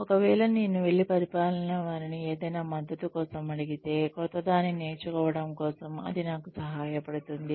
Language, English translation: Telugu, If, I was to go and ask, any of my administration for support, for learning something new, it would help me